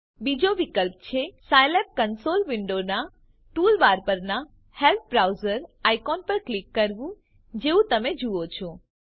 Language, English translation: Gujarati, Another option is to click on the help browser icon on the toolbar of the scilab console window as you see